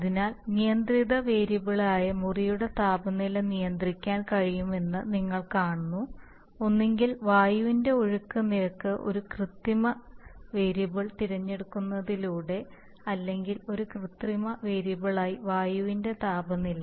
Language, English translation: Malayalam, But I am going to control the temperature of the air which I am pushing in, so you see that the temperature of the room which is the controlled variable can be controlled either by selecting the flow rate of air as a manipulated variable or the temperature of the air as a manipulated variable